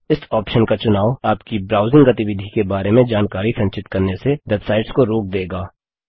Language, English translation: Hindi, Selecting this option will stop websites from storing information about your browsing behavior